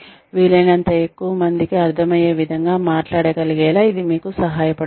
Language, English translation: Telugu, It helps to be, able to speak in a manner, that one can be understood by, as many people as possible